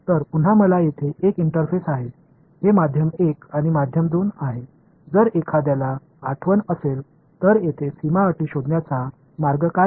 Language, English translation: Marathi, So, again I have an interface over here, this is medium 1 and medium 2 what is the way of a finding a boundary condition over here if anyone remembers